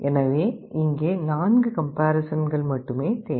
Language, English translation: Tamil, So, here only 4 comparison steps are required